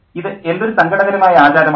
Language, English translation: Malayalam, What a sad custom